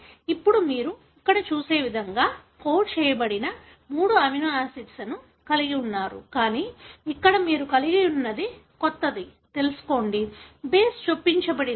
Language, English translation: Telugu, Now you have the three amino acids that are coded like what you see here, but over here what you had was a new, know, base is inserted